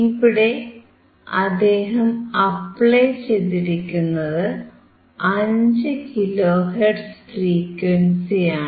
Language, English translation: Malayalam, I am applying 5V as input and applying 5 kilo hertz as a frequency